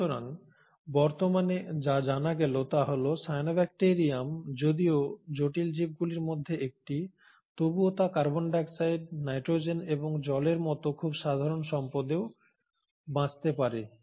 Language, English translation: Bengali, So in what is now known today is that the cyanobacterium although one of the more complex ones, can survive on very bare resources like carbon dioxide, nitrogen and water